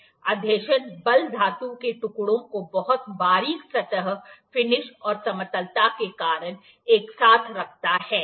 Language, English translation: Hindi, The adhesion forces, the force of adhesion holds the metal pieces together because of the very fine surface finish and flatness, ok